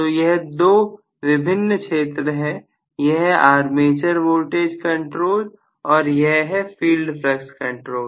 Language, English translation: Hindi, So, the two regions distinctly are, this is armature voltage control, right and this is going to be field flux control